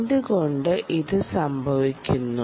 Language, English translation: Malayalam, ok, why does this happen